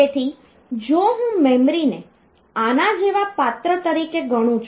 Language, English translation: Gujarati, So, if I consider memory as a container like this